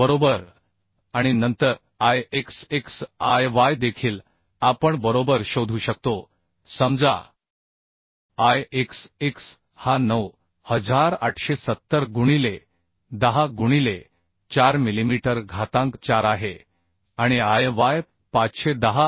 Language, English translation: Marathi, 7 into 10 cube right and then Ixx Iyy we can find out right Say Ixx is equal to 9870 into 10 to the 4 millimetre to the 4 and Iy is equal to 510